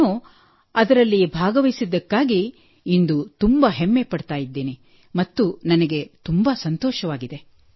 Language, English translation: Kannada, I really feel very proud today that I took part in it and I am very happy